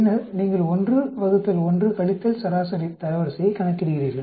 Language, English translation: Tamil, Then you calculate 1 divided by 1 minus median rank